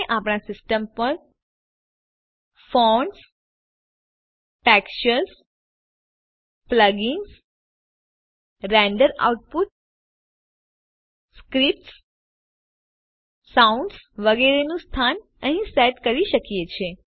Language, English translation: Gujarati, Here we can set the location of Fonts, Textures, Plugins, Render output, Scripts, Sounds, etc